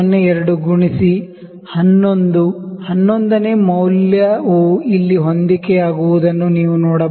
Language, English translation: Kannada, 02 into 11; you can see the 11th reading is coinciding here